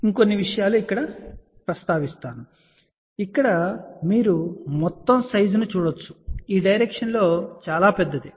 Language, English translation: Telugu, A few other things I just want to mention that here you can see that the total size in this direction is relatively large ok